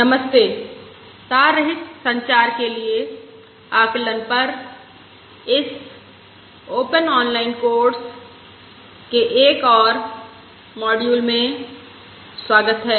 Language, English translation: Hindi, Hello, welcome to another module in this massive open online course on estimation for wireless communication